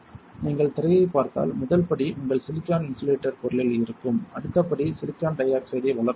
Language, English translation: Tamil, If you see the screen what you see is first step would be your silicon on insulator material next step would be to grow silicon dioxide